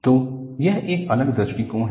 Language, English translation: Hindi, So, this is a different approach